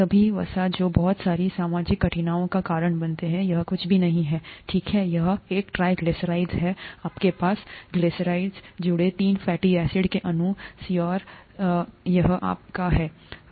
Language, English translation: Hindi, All the fat that that causes a lot of social difficulty is nothing but this, okay, it is a triglyceride, you have three fatty acids attached to a glycerol molecule and that is your fat